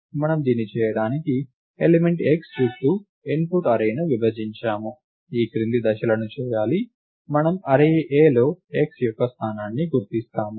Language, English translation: Telugu, We partition the input array around the element x to do this the following steps have to be done, we identify the position of x in the array A